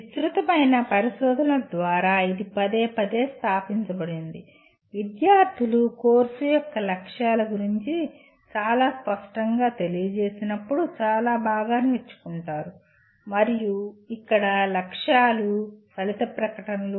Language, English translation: Telugu, This has been repeatedly established through extensive research the students learn lot better when they are informed very clearly about the goals of the course and here the goals are outcome statements